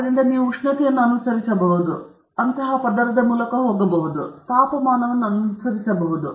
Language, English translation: Kannada, So, you can follow temperature, you can go layer by layer, and you can follow temperature